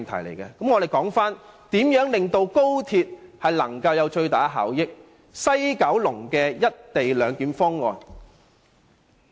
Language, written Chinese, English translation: Cantonese, 讓我們談談能令高鐵帶來最大的效益的西九龍"一地兩檢"方案。, Let us talk about the proposal of the co - location arrangement under the West Kowloon project which will help maximize the benefits to be brought by the XRL